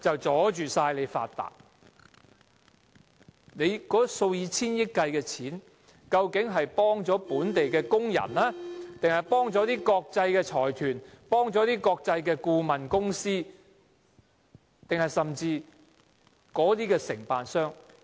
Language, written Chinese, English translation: Cantonese, 政府數以千億元計的金錢，究竟是協助本地工人，還是國際財團、國際顧問公司、承辦商？, When the Government spends hundreds of billions of dollars is it helping local workers or it is benefiting international consortia international consultants or contractors?